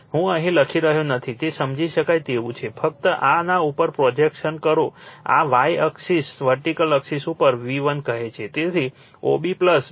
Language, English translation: Gujarati, I am not writing here it is understandable just make it your projection on this your on this your on this your what you call on this y axis vertical axis say your V 1, right, so OB plus BA